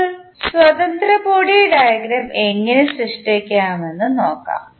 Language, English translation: Malayalam, Now, let us see how we can create the free body diagram